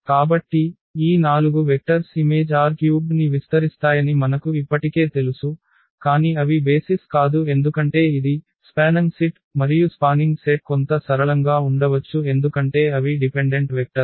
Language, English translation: Telugu, So, we already know that these 4 vectors will span image R 3, but they are they are not the basis because this is this is the spanning set, and spanning set may have some linearly dependent vectors